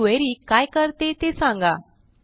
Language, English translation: Marathi, Explain what this query does